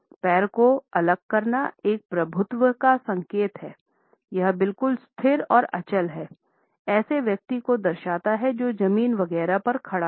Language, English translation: Hindi, Legs apart is rightly interpreted as a signal of dominance, it is resolutely stable and immovable indicates a person who is standing the ground etcetera